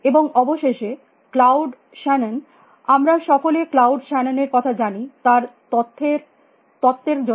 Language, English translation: Bengali, And finally, Claude Shannon everybody knows Claude Shannon, because of is in information to the end there